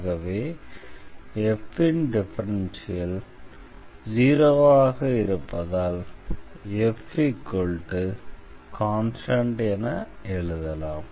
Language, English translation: Tamil, So, once we have f we can write down the solution as f is equal to constant